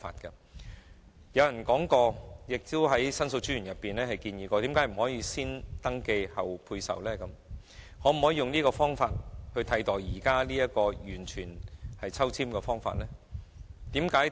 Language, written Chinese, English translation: Cantonese, 有人提出而申訴專員亦曾建議採用先登記，後配售的方法，並以此取代現時的抽籤方法。, Some suggested and The Ombudsman also proposed that the Government should adopt the first registration then allocation approach to replace the existing balloting exercise